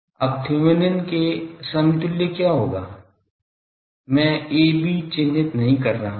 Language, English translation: Hindi, Now, what will be the Thevenin’s equivalent of this, I am not marked a b